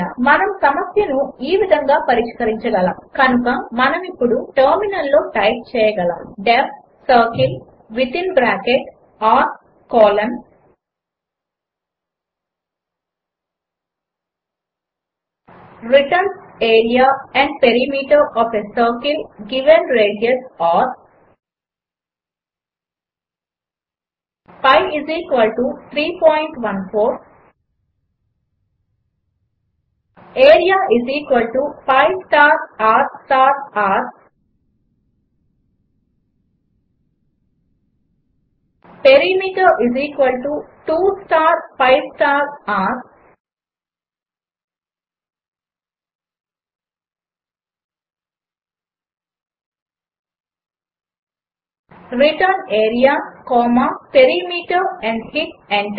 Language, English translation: Telugu, We can solve the problem as, So now we can type in terminal def circle within bracket r colon returns area and perimeter of a circle given radius r pi = 3.14 area = pi star r star r perimeter = 2 star pi star r return area comma perimeter and hit enter